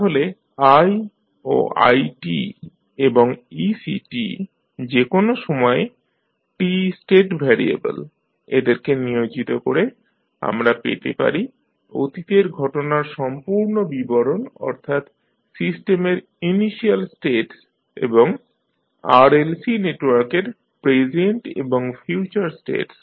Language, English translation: Bengali, So, by assigning i and i t and ec at any time t as the state variable, we can have the complete description of the past history that is the initial states of the system and the present and future states of the RLC network